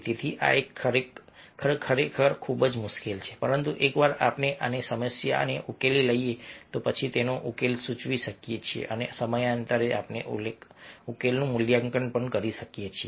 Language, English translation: Gujarati, but once we identify and identify the problem, then we can propose the solution and from time to time we can also assess the solution